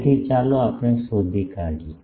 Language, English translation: Gujarati, So, let us find out gain